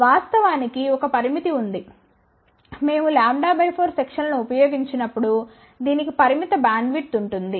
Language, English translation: Telugu, Of course, there is a limitation; whenever we use a lambda by 4 section it will have a limited bandwidth